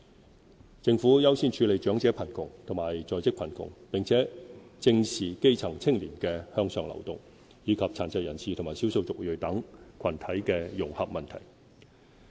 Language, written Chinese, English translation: Cantonese, 針對長者貧窮和在職貧窮問題，政府在短短4年間推出"長者生活津貼"和"低收入在職家庭津貼"兩個全新的支援計劃。, To address elderly poverty and working poverty the Government has introduced two new support programmes―the Old Age Living Allowance OALA and the Low - income Working Family Allowance over the short span of four years